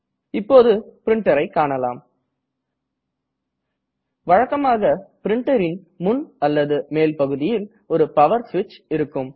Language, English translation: Tamil, Usually there is a power switch on the front or top part of the printer